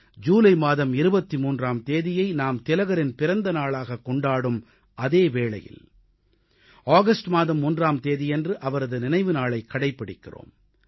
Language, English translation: Tamil, We remember and pay our homage to Tilak ji on his birth anniversary on 23rd July and his death anniversary on 1st August